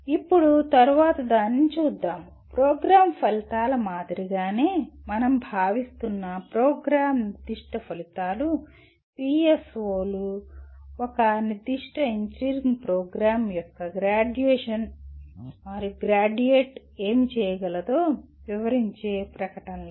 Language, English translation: Telugu, Now, coming to the next one, the program specific outcomes which we consider are at the same level as program outcomes, PSOs are statements that describe what the graduate of a specific engineering program should be able to do